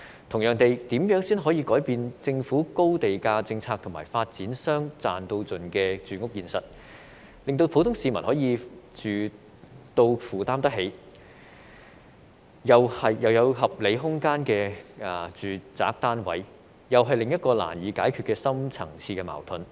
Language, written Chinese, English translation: Cantonese, 同樣地，如何才可以改變政府的高地價政策和發展商"賺到盡"的住屋現實，令普通市民能居住在可負擔，並有合理空間的住宅單位，這又是另一個難以解決的深層次矛盾。, Similarly what can be done to change the high land - price policy of the Government and the profit maximization practice among housing developers in the housing market so as to enable the public to live in affordable housing with reasonable living space is another deep - seated conflict hard to be tackled